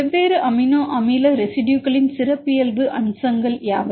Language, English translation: Tamil, What are the characteristic features of different amino acid residues